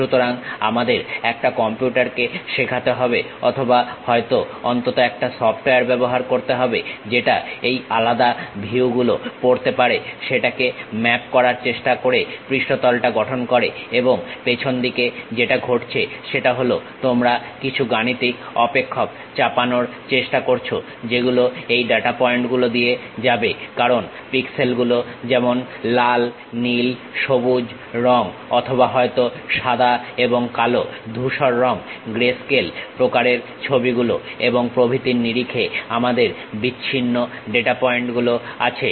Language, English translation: Bengali, So, we have to teach it to computer or perhaps use a at least a software which can really read this different views try to map that construct the surface and the back end what happens is you impose certain mathematical functions which pass through this data points because we have isolated data points in terms of pixels like colors red, blue, green or perhaps white and black, grey grayscale kind of images and so on